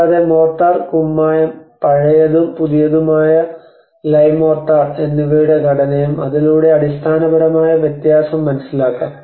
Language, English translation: Malayalam, And also the material the composition of mortar the lime and the old and new lime mortar so one can see that the basic fundamental difference of it